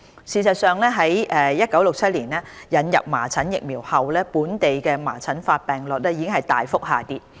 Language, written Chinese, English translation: Cantonese, 事實上，自1967年引入麻疹疫苗後，本地麻疹發病率已大幅下跌。, In fact the incidence rate of measles in Hong Kong has decreased substantially since the introduction of measles vaccine in 1967